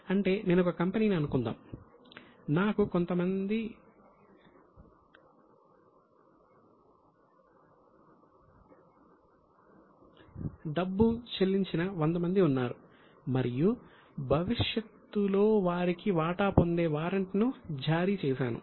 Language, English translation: Telugu, That means suppose I am a company there are 100 people who have paid me some money and I have issued them a warrant which gives them a right to get share in future